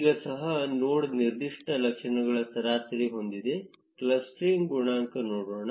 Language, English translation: Kannada, Now let us also look at the node specific attributes which is the average clustering coefficient